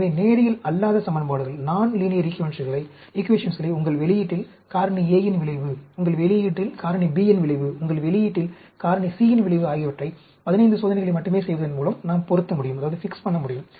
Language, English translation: Tamil, So, we can fit non linear equations, for effect of factor A on your, the output, effect of factor B on your output, effect of factor C on your output, just by doing only 15 experiments